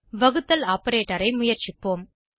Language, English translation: Tamil, Let us try the division operator